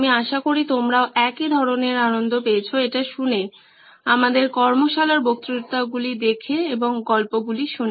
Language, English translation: Bengali, I hope you had the same kind of fun also listening to this, watching our workshops watching the lectures, listening to the stories as well